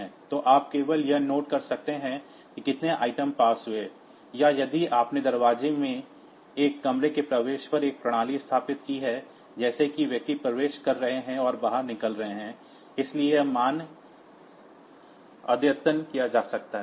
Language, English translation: Hindi, So, you can just you can note how many items has passed, or if you have installed a system at the entry of a room in the door like as persons are entering and exiting; so, this values may be updated